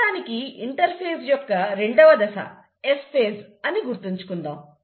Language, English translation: Telugu, But, for the time being, you remember that the second phase of interphase is the S phase